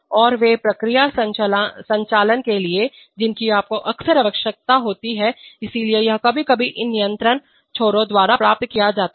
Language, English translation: Hindi, And they of, for process operations you often need that, so this is sometimes achieved by these control loops